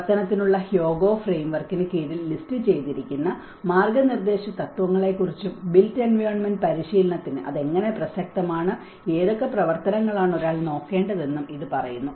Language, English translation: Malayalam, It talks about the guiding principles, what have been listed under the Hyogo Framework for Action and how it is relevant to the built environment practice and what kind of activities one has to look at it